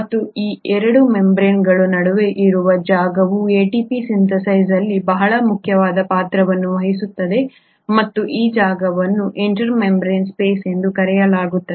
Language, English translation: Kannada, And the space which is present between these 2 membranes play a very important role in ATP synthesis and this space is called as the inter membrane space